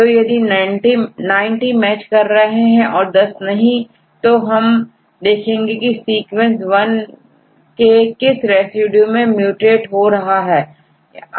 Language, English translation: Hindi, So, 90 will match right 90 matches and 10 mismatches and this takes this 10 and see the rate which residue in sequence 1 is mutated to which residue in 2